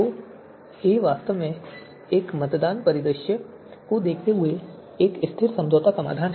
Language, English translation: Hindi, So a dash is actually stable compromise solution given a voting scenario